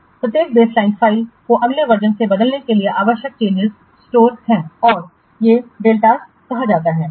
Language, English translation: Hindi, The changes needed to transform each baseline file to the next version are stored and are called delta